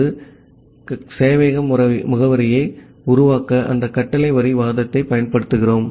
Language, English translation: Tamil, So, we are using that command line argument to create the server address